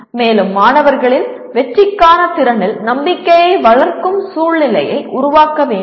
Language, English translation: Tamil, And creating an atmosphere that promotes confidence in student’s ability to succeed